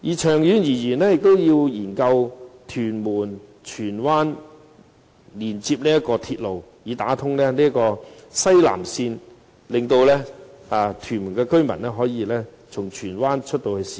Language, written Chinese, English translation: Cantonese, 長遠而言，亦要研究連接屯門和荃灣的鐵路，以打通西南線，使屯門居民可以從荃灣進入市區。, In the long run the Government should study the construction of a railway connecting Tuen Mun and Tsuen Wan so that Tuen Mun residents can travel to and from the downtown areas via Tsuen Wan after the South West link is established